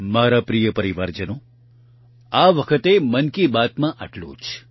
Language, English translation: Gujarati, My dear family members, that's all this time in 'Mann Ki Baat'